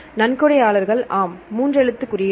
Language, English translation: Tamil, Donors yes three letter codes